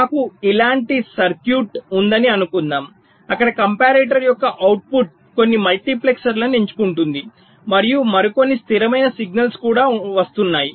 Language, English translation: Telugu, suppose i have a circuit like this where the output of a comparator is selecting some multiplexers and also some other stable signal is coming